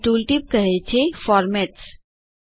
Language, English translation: Gujarati, The tooltip here says Formats